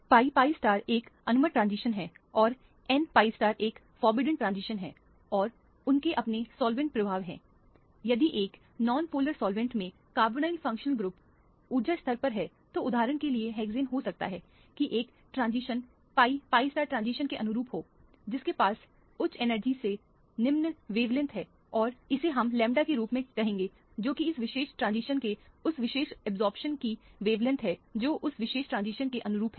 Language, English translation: Hindi, The pi pi star is an allowed transition and the n pi star is a forbidden transition and they have their own solvent effects, if these are the energy levels of the carbonyl functional group in a non polar solvent let us say for example, hexane then this would be a transition correspond to the pi pi star transition which is having a higher energy so lower wavelength and this would this is let us say call it as a lambda which is a wavelength of that particular absorption of this particular transition corresponding to that particular transition